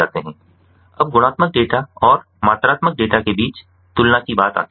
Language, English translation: Hindi, now comes the comparison between qualitative data and quantitative data